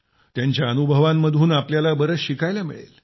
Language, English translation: Marathi, We will also get to know a lot from their experiences